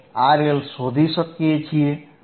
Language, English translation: Gujarati, I can find the value of R L